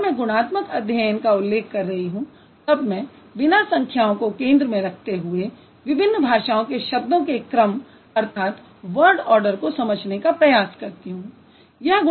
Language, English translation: Hindi, So, when I say qualitatively, I'm trying to understand just the word order of different languages without really focusing on the number